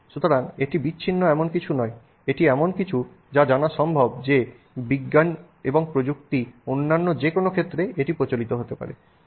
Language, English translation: Bengali, It is something that is possible to be prevalent in any other area of science and technology